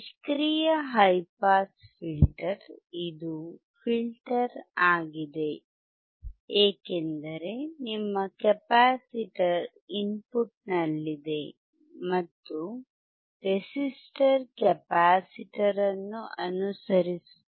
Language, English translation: Kannada, High pass passive filter is a filter, because your capacitor is at the input and resistor is following the capacitor